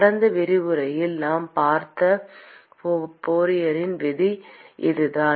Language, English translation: Tamil, And this is what is given by Fourier’s law that we saw in the last lecture